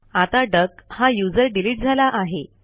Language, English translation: Marathi, Now the user duck has been deleted